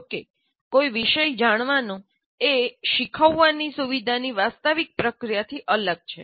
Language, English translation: Gujarati, Knowing the subject is different from the actual process of facilitating learning